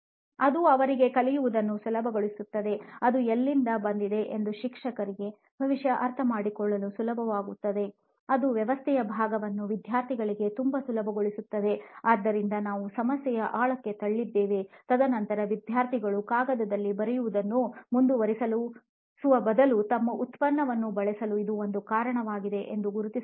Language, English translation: Kannada, So then one would be it would make it easier for them to learn, it would make it easier for the teacher to probably understand where it is, it would make the organization part of it very easy for students, so we push deeper what the problem is and then probably come to identify okay this would be one reason why students would want to switch to our product instead of continuing to write on paper